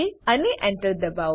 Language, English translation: Gujarati, And Press Enter